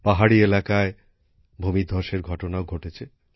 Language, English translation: Bengali, Landslides have also occurred in hilly areas